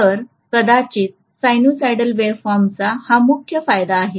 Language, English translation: Marathi, So this is one of the major advantages of probably the sinusoidal waveform